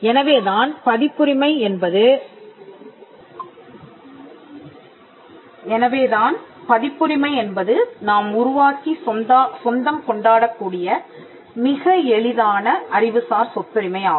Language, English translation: Tamil, So, that makes copyright one of the easiest intellectual property rights to create and to own